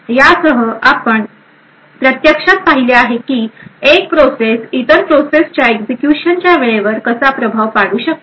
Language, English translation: Marathi, With this we have actually seen how one process could influence the execution time of other process